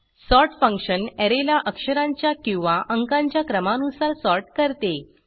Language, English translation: Marathi, sort function sorts an Array in alphabetical/numerical order